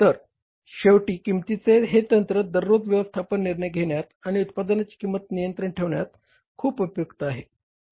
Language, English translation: Marathi, So, finally, this technique of the costing is very helpful in the day to day management decision making and keeping the cost of the product under control